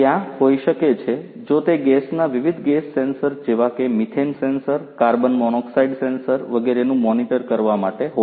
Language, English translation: Gujarati, There could be if it is for gas monitoring different gas sensors like you know methane sensor, carbon monoxide sensor and so on